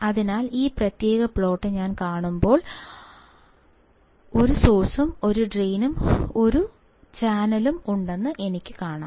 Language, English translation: Malayalam, So, if I see this particular plot, but I see there is a source; there is a channel, there is a drain